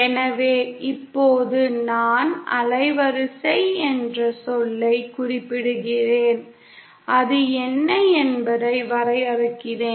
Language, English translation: Tamil, So now that I mention the term band width let me define what it is